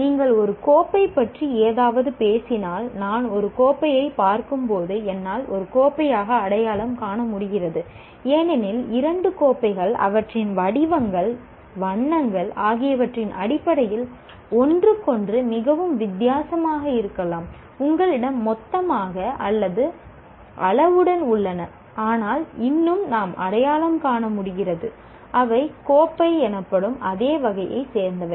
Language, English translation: Tamil, Like if you talk something as like a cup, when I see see a cup I am able to identify as a cup because two cups may be very different from each other in terms of their shapes, colors, you have a whole bunch of things or sizes and so on and yet we are able to identify them as belonging to the same category called cups